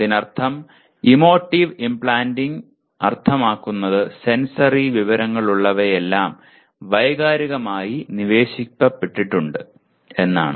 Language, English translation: Malayalam, That means emotive implanting means that whatever that has sensory information that has come it has been emotively implanted